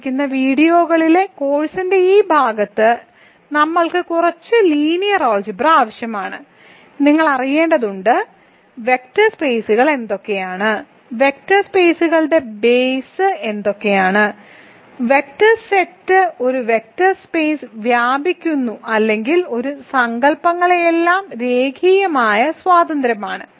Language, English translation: Malayalam, So, in this part of the course in the remaining videos we need a little bit of linear algebra, you need to know what are vector spaces, what are bases of vector spaces, when do we say set of vectors span a vector space or are linearly independent all these notions